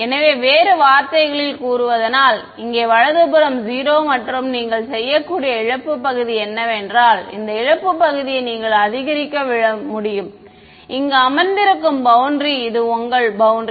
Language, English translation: Tamil, So, in other words supposing this is the boundary over here right 0 and the loss part what you can do is you can increase the loss part like this right and the boundary sitting here this is your boundary